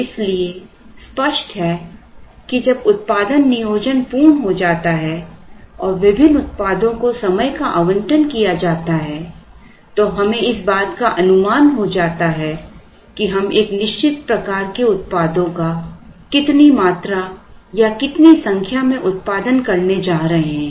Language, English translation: Hindi, So, obviously when the production planning is complete and the allocation of time to the various products are made one has an idea of how much or how many products of a certain type we are going to produce